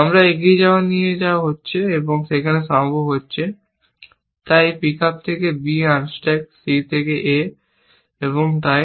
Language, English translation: Bengali, We are being carried forward here and, therefore there will be possible, so apart from this pick up b unstack c from a and so on